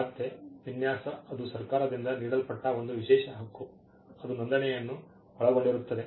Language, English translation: Kannada, Design again it is an exclusive right it is conferred by the government, which means it involves registration